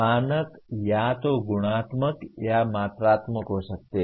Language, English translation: Hindi, The standards may be either qualitative or quantitative